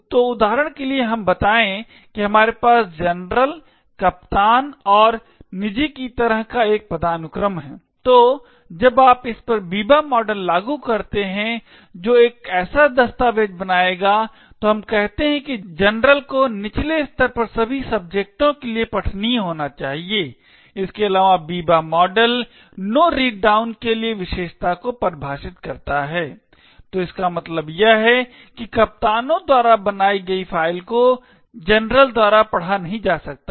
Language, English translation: Hindi, So for example let us say we have a hierarchy like this of general, captains and private, so when you apply the Biba model to this that is a document created by let us say the general should be readable to all subjects at a lower level, further the Biba model also defines the property for no read down, so what this means is that a file created by the captains cannot be read by the general